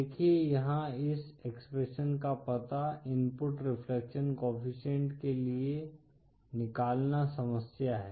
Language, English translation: Hindi, See the problem here is to find out this expression for input reflection coefficient